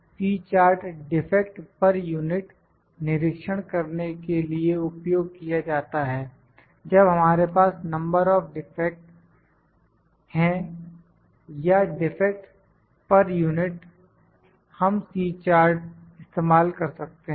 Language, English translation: Hindi, C charts used to monitor the defects per unit when we have the number of defects, or defects per unit, we can use the C chart